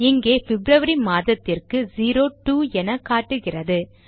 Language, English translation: Tamil, Here it is showing 02 for the month of February